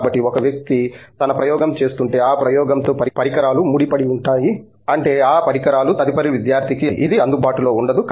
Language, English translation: Telugu, So, if so one person is doing his experiment the equipment gets tied to that experiment which means, like it’s not available for the next student who is sharing that equipment